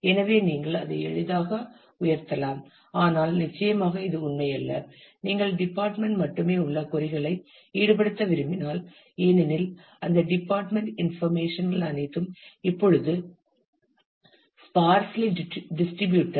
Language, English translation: Tamil, So, you can easily lift that, but certainly this is not true, if you want to involve queries which have department only; because that department information are all now sparsely distributed